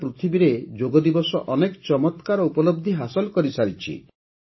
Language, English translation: Odia, Yoga Day has attained many great achievements all over the world